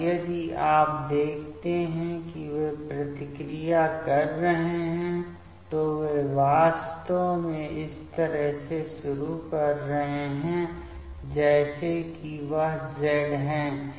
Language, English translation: Hindi, And if you see that they are reacting reactions, they are actually starting from like this say it is Z